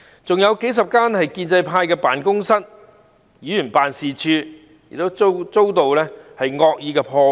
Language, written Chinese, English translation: Cantonese, 此外，數十間屬於建制派的辦公室和議員辦事處也遭到惡意破壞。, Furthermore dozens of offices and Members offices belonging to the pro - establishment camp were also vandalized